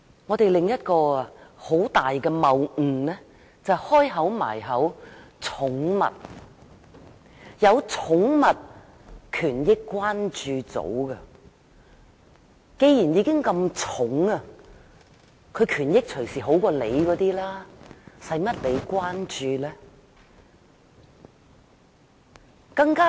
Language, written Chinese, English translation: Cantonese, 我們另一個很大的謬誤就是，既然已有寵物權益關注組，動物已經很得寵，權益隨時比人還好，無須再關注。, Another great fallacy of ours is that since there are concern groups on animal rights animals are very well taken care of and their benefits may even be better than human beings hence this is no need to show further concern